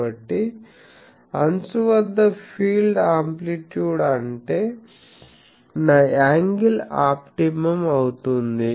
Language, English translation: Telugu, So, field amplitude at the edge; that means, there my angle is this optimum